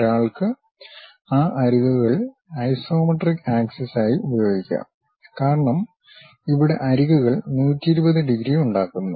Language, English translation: Malayalam, One can use those edges as the isometric axis; because here the edges are making 120 degrees